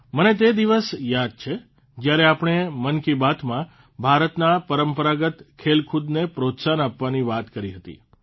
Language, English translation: Gujarati, I remember the day when we talked about encouraging traditional sports of India in 'Mann Ki Baat'